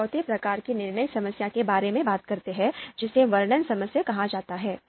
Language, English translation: Hindi, Now let’s talk about the fourth type of decision problem, this is called description problem